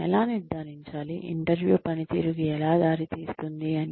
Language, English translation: Telugu, How to ensure, that the interview leads to performance